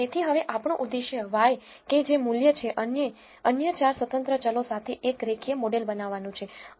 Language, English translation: Gujarati, So, now, our objective is to build a linear model with y which is price and with all the other 4 independent variables